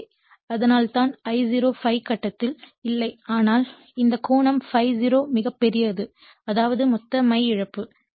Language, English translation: Tamil, So, that is why I0 is not exactly is in phase with ∅ but this angle actually this angle I ∅0 actually quite large so, that is total core loss